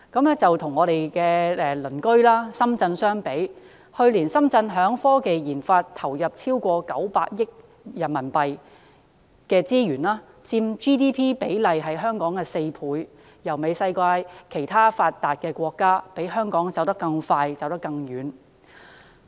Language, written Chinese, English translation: Cantonese, 與我們鄰近的深圳相比，去年深圳在科技研發投入超過900億元人民幣，佔 GDP 比例是香港的4倍，媲美世界其他發達國家，比香港走得更快、更遠。, We can make a comparison with our neighbouring city Shenzhen . Last year Shenzhen injected over RMB90 billion in the research and development RD of science and technology four times that of Hong Kong in terms of percentage in Gross Domestic Product GDP . It is comparable to other developed countries and is progressing faster and farther than Hong Kong